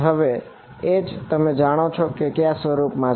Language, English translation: Gujarati, Now H you know is of what form